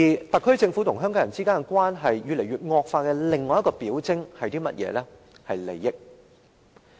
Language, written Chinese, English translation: Cantonese, 特區政府與香港人之間的關係惡化的另一個表徵，就是利益。, Another symptom in the deteriorating relationship between the SAR Government and the people of Hong Kong is the question of interest